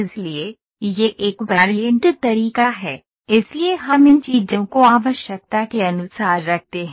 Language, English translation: Hindi, So, that is a variant method, so we just put these things to the requirement